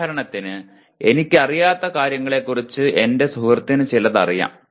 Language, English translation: Malayalam, For example my friend knows something about what I do not know